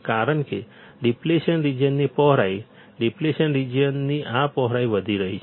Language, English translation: Gujarati, The width of depletion region, this width of depletion region is increasing